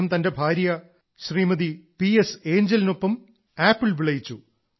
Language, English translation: Malayalam, He along with his wife Shrimati T S Angel has grown apples